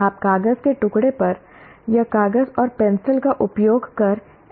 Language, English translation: Hindi, You are not doing this on a piece of paper or using a paper and pencil